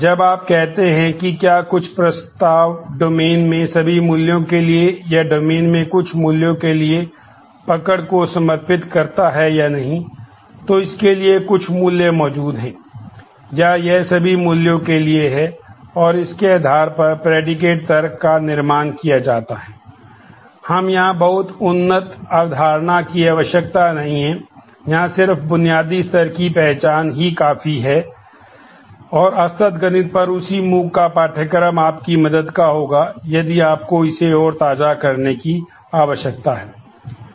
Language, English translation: Hindi, And based on that predicate logic is build up we do not need very advanced concept here just basic level familiarization will help and the same MOOC’s course on discrete mathematics would be of your help in case you need to brush it up further